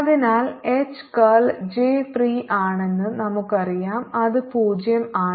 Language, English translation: Malayalam, so we know that curl of h is j free, which is zero